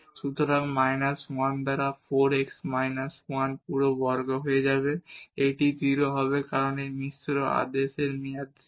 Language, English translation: Bengali, So, will become minus 1 by 4 x minus 1 whole square, this will be 0 because this mixed order term is 0